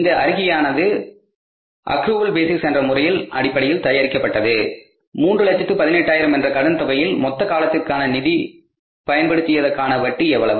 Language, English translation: Tamil, This statement is prepared on the accrual basis that on the total loan of $318,000, how much interest is due for the total period for which the funds are used